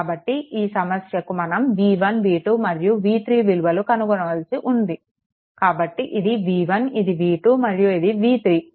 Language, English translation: Telugu, So, for this problem that you have to find out v 1 v 2 and v 3 of this right so, this is v 1 this is v 2 and this is v 3 right